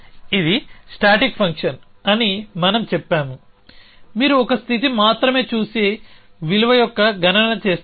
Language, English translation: Telugu, We had said that it is a static function you only look at a state and do a computation of a value